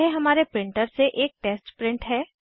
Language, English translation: Hindi, Here is our test print from our printer